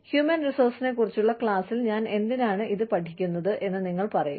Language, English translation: Malayalam, You will say, why am I learning this, in a class on human resources